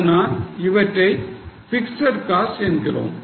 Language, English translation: Tamil, Hence that comes as a fixed cost